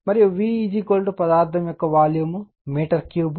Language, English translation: Telugu, And V is equal to volume of the material in meter cube